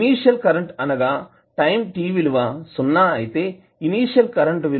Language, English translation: Telugu, The initial current that is current at time t is equal to 0 is 4 ampere